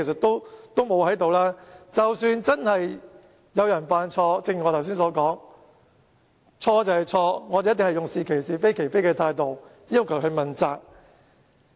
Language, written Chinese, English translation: Cantonese, 如果真的有人犯了錯，正如我剛才所說：錯就是錯，我們一定會用是其是、非其非的態度，要求問責。, If someone has really made a mistake as I have said just now a mistake is a mistake . We will call a spade a spade and request that person to assume responsibility